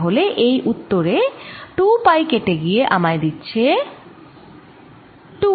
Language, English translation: Bengali, so this answer is this: two pi cancels gives me two